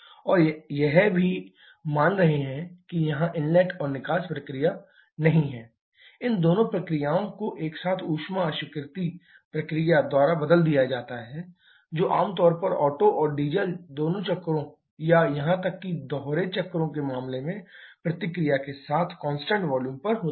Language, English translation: Hindi, And we are also assuming that there is no inlet and exhaust process that these two processes together are replaced by a heat rejection process generally constant volume with reaction in case of both Otto and Diesel cycles or even in case of dual cycles